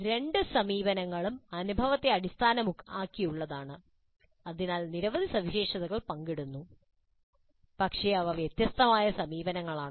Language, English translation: Malayalam, Both approaches are experience oriented and hence share several features but they are distinct approaches